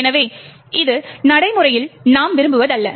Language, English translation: Tamil, So, this is not what we want in practice